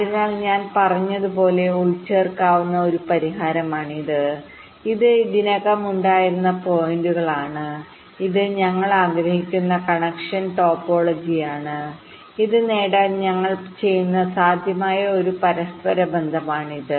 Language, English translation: Malayalam, like, what i was saying is that these are the points which were already there and this is the connection topology that we want and this is one possible interconnection that we do to achieve this